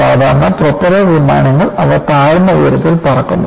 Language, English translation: Malayalam, Inthe ordinary propeller planes, they fly at lower altitudes